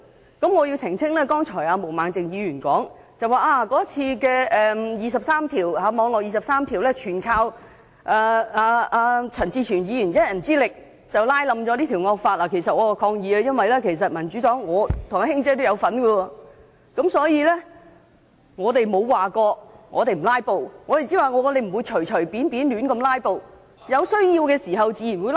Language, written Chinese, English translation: Cantonese, 有一點我要澄清，毛孟靜議員剛才說"網絡廿三條"一役，全靠陳志全議員以一人之力拉倒整項惡法，對此我要抗議，其實民主黨的"卿姐"和我都有份參與，所以我們沒有說不"拉布"，只是說不會隨便胡亂"拉布"，而且有需要時自然會"拉布"。, Ms Claudia MO said earlier that in the battle against the Internet Article 23 it was Mr CHAN Chi - chuen who has stopped the whole draconian law from being passed by staging filibustering alone . In this connection I have to clarify in protest because both Madam Emily and I from the Democratic Party have also joined in the filibuster then . Therefore we have never said that we would not take part in filibustering and what we have been emphasizing is that we would not resort to filibustering lightly and blindly and that we would engage in filibustering as and when necessary